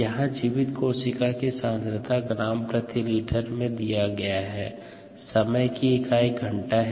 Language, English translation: Hindi, the viable cell concentration, gram per litre is given here, time in hours